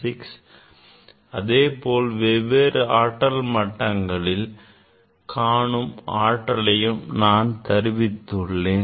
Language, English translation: Tamil, n equal to 1 also there and he derived the energy of this levels